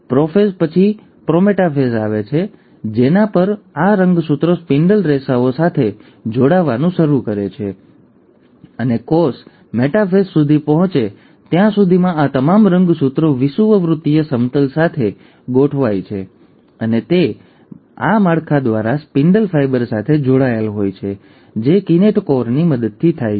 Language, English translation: Gujarati, The prophase is followed by the prometaphase, at which, these chromosomes start attaching to the spindle fibres, and by the time the cell reaches the metaphase, all these chromosomes are arranged along the equatorial plane and they all are attached to the spindle fibre through this structure which is with the help of a kinetochore